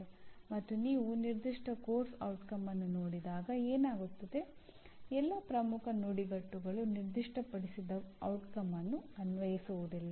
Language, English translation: Kannada, And what happens when you look at a particular Course Outcome, all the key phrases may not be applicable to that particular stated outcome